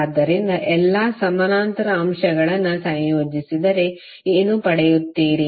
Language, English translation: Kannada, So if you combine both all the parallel elements, what you will get